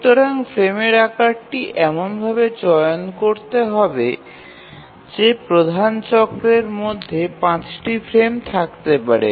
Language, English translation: Bengali, So the frame size must be chosen such that there must be five frames within the major cycle